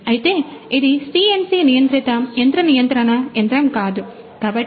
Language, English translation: Telugu, However, since this is not a CNC controlled machine control machine